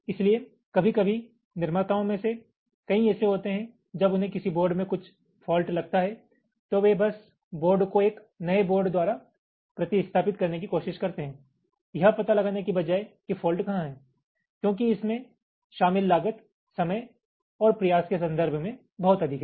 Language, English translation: Hindi, many of the manufacturers, when they find some fault in a board, they simply replace the board by a new board instead of trying to find out where the fault is right, because the cost involved is pretty higher cost in terms to time and effort